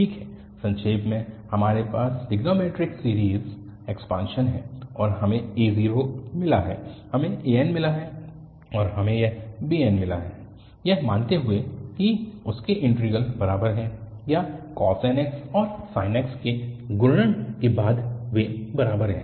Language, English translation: Hindi, Well so, just to summarize we have the trigonometric series expansion and we got the a0, we got an, and we got this bn by assuming that their integrals are equal or after multiplication of cos nx and sin nx, they are equal